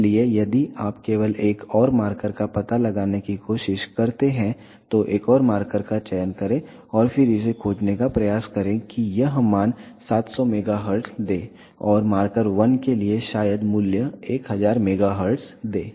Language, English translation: Hindi, So, if you just try to locate one more marker go to marker then select one more marker and then just try to locate it this give the value 700 megahertz and for marker 1 maybe give value 1000 megahertz